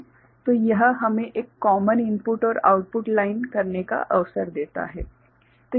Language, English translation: Hindi, So, that gives us an opportunity to have a common input and output line ok